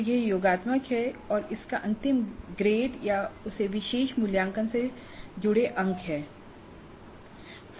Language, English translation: Hindi, So it is summative and it has a final grade or marks associated with that particular assessment